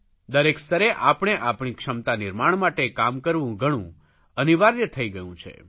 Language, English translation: Gujarati, It has become important to work on our capacity building at every level